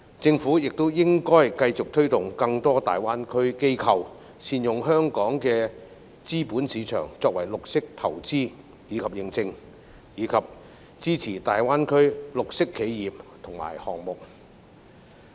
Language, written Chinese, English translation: Cantonese, 政府也應繼續推動更多大灣區機構，善用香港的資本市場作為綠色投資及認證，以及支持大灣區綠色企業及項目。, The Government should also continue to encourage more institutions in GBA to make good use of our capital market for green investment and certification as well as support green enterprises and projects in GBA